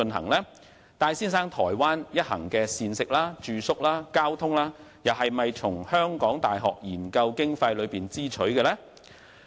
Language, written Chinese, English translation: Cantonese, 此外，戴先生台灣一行的膳食、住宿和交通費用，是否從港大研究經費中支取呢？, Furthermore were the food accommodation and transport expenses borne by the research funding of HKU?